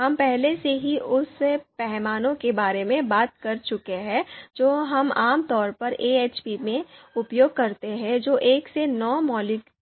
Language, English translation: Hindi, So we have already talked about the scale that we typically use in AHP that is one to nine fundamental one to nine scale